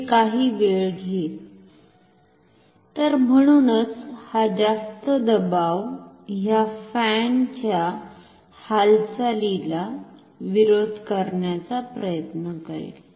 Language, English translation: Marathi, So, therefore, this higher pressure will try to oppose the motion of this fan